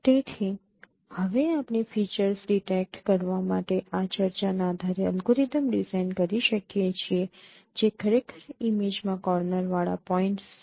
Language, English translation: Gujarati, So we can now design an algorithm based on this discussion for detecting features which are actually corner points in an image